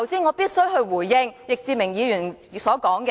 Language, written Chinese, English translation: Cantonese, 我必須回應易志明議員剛才的言論。, I feel obliged to respond to the comments made by Mr Frankie YICK just now